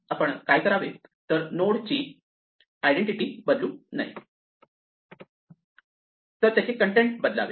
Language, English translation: Marathi, What we do is we do not change the identity of the node, we change what it contains